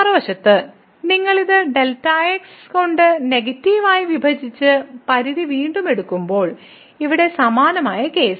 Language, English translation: Malayalam, On the other hand when you divide this by which is negative and take the limit again the same similar case here